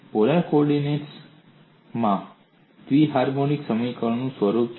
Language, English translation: Gujarati, What is the nature of bi harmonic equation polar co ordinates